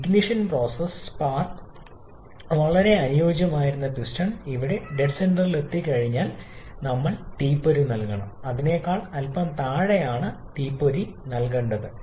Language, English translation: Malayalam, And the ignition process spark were ideally we are supposed to provide the spark once the piston reaches the top dead centre some here, but spark has been provided a bit below that